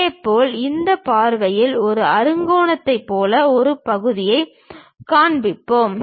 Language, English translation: Tamil, Similarly, we will be having a section which looks like a hexagon in this view